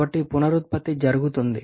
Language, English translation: Telugu, What is the idea of regeneration